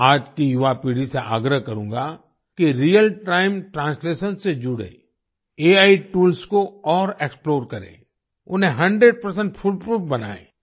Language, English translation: Hindi, I would urge today's young generation to further explore AI tools related to Real Time Translation and make them 100% fool proof